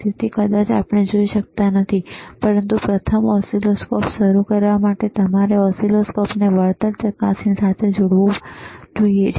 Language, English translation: Gujarati, So, probably we cannot see, but to first start the oscilloscope, first to understand the oscilloscope